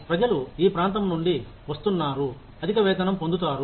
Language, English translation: Telugu, People coming from this region, will get a higher pay